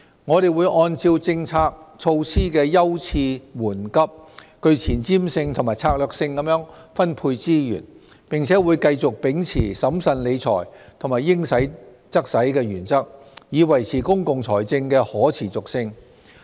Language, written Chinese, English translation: Cantonese, 我們會按照政策措施的優次緩急，具前瞻性和策略性地分配資源，並會繼續秉持審慎理財和"應使則使"的原則，以維持公共財政的可持續性。, We will allocate resources in a strategic and forward - looking manner according to the priority of the policy initiatives and continue to uphold the principles of fiscal prudence and spending money where it is due so as to preserve the sustainability of public finance